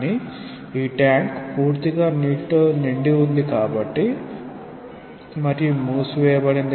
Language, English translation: Telugu, Say you have a tank now it is completely filled with water and it is closed